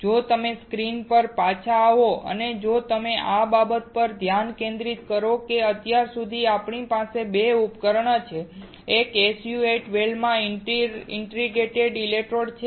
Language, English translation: Gujarati, If you come back on the screen and if you focus the thing that until now we have that there are 2 devices; one is an inter digitated electrodes in an SU 8 well